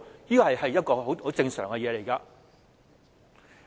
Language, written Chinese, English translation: Cantonese, 這是一個很正常的情況。, This is a completely normal situation